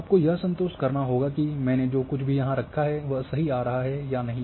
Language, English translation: Hindi, You have to satisfy that whatever I have put here whether it is coming correct or not